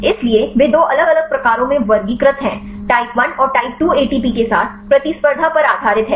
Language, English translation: Hindi, So, they classified in two different types one is type 1 and type 2 based on the competition with ATP